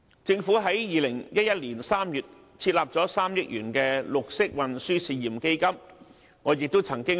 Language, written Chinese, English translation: Cantonese, 政府在2011年3月設立了3億元的綠色運輸試驗基金，我亦曾出任為成員。, The Government established in March 2011 the 300 million Pilot Green Transport Fund the Fund and I had been a member of its steering committee